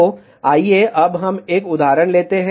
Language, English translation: Hindi, So, let us just take some example